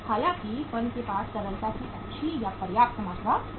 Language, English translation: Hindi, However, firm will have the good or the sufficient amount of the liquidity